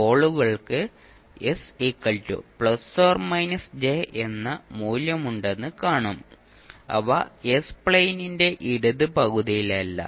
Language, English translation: Malayalam, You will see the poles has the value s equal to plus minus j which are not in the left half of s plane